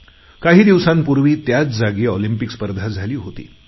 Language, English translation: Marathi, Olympic Games were held at the same venue only a few days ago